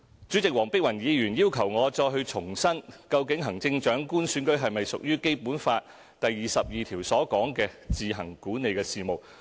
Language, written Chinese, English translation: Cantonese, 主席，黃碧雲議員要求我再重申，究竟行政長官選舉是否屬於《基本法》第二十二條所述的"自行管理的事務"。, President Dr Helena WONG has asked me to reiterate whether the Chief Executive Election is an affair which the Hong Kong SAR administers on its own as stipulated in Article 22 of the Basic Law